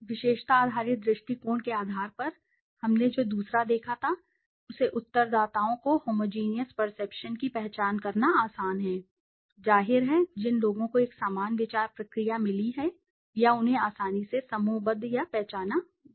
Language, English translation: Hindi, On the basis of the attribute based approach which was the second one we saw it is easy to identify respondents with homogeneous perceptions, obviously, people who have got a similar thought process or can be easily grouped or identified